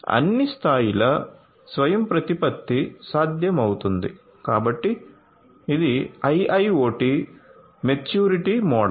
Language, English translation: Telugu, So, all levels of autonomy would be possible so this is this IIoT maturity model